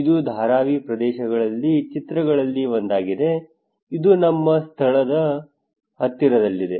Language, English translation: Kannada, This is one of the picture of Dharavi areas, this is our location close to